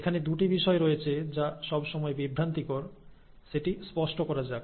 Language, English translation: Bengali, Now, there are two terms which are always confusing, so let me clarify that